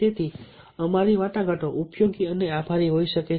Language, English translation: Gujarati, so our negotiation might be useful and grateful